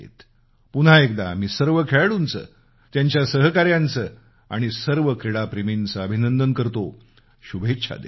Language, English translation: Marathi, I extend my congratulations and good wishes to all the players, their colleagues, and all the sports lovers once again